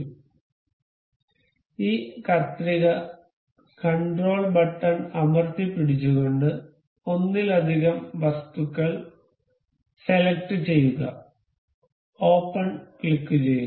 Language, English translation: Malayalam, So say this scissor, we will control select multiple things and click on open